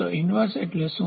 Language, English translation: Gujarati, So, what is an inverse